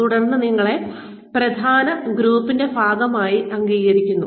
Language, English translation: Malayalam, And then, you are accepted as part of the main group